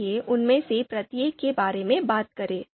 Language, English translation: Hindi, So let’s talk about each one of them